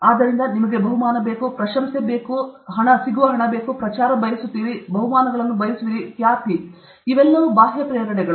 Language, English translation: Kannada, So, you want a reward, you want money you want praise, you want promotion, you want prizes, fame all these extrinsic motivators